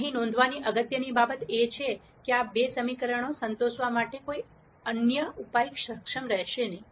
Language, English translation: Gujarati, The important thing to note here is, no other solution will be able to satisfy these two equations